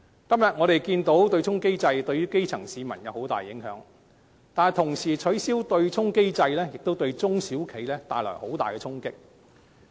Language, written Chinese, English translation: Cantonese, 今天我們看到對沖機制對基層市民造成極大影響，但一旦取消對沖機制，亦會對中小企帶來很大的衝擊。, Today we can see the enormous impact the offsetting mechanism has caused on the grass roots . Yet the offsetting mechanism once abolished will also cause an enormous impact on small and medium enterprises SMEs